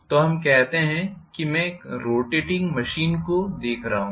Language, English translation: Hindi, So let us say I am looking at a rotating machine